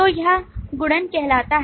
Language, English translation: Hindi, So this is called multiplicity